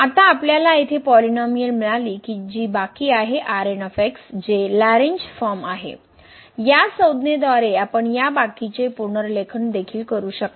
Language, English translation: Marathi, Well now, we got the polynomial here which is the remainder term the which is the Lagrange form of the remainder, this term we can also rewrite this remainder form in this form